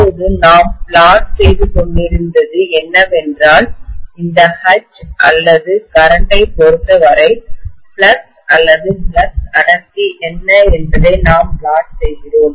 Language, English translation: Tamil, Now what we were plotting was that with respect to this H or with respect to the current, we were plotting what is the flux or flux density